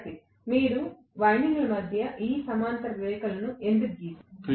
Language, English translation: Telugu, Student: Why you have drawn these two parallel lines between the windings